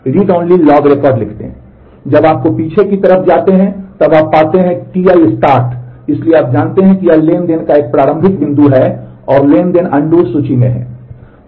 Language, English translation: Hindi, Now when you find going backwards, when you find ti start; so you know that this is a starting point of the transaction and the transaction is in undo list